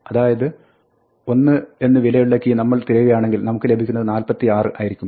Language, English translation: Malayalam, So, we will search for the item associated with 1 and we get back 46